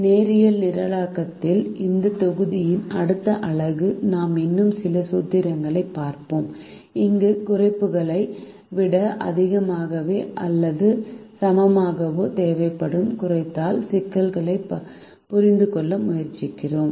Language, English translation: Tamil, in a next unit of this module on linear programming, we will continue to look at some more formulations where we try to understand minimization problems that require greater then or equal to constrains